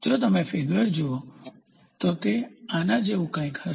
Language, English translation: Gujarati, If you look at the figure, so it will be something like this